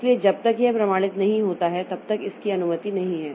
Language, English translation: Hindi, device so until and unless it is authenticated so it is not permitted